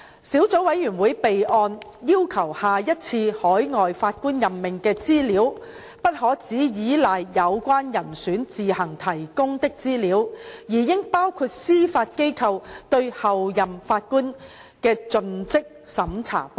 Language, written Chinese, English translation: Cantonese, 小組委員會備案要求下一次海外法官任命的資料，不可只倚賴有關人選自行提供的資料，而應包括司法機構對候任法官的盡職審查報告。, The Subcommittee made a request for the record that the information of appointment of overseas Judges in the future should also include the due diligence report on the Judges designate prepared by the Judiciary instead of solely relying on the information provided by the candidates